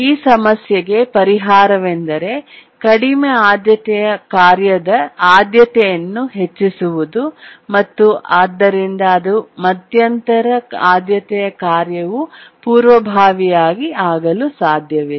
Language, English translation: Kannada, So the solution here is to raise the priority of the low priority tasks so that the intermediate priority task cannot preempt it